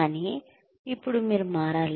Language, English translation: Telugu, But now, you need to change